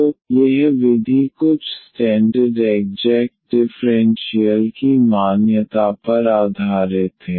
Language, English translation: Hindi, So, this method is based on the recognition of this some standard exact differential